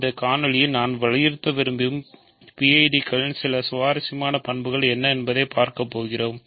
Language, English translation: Tamil, So, what are the some interesting properties of PIDs that I want to emphasize in this video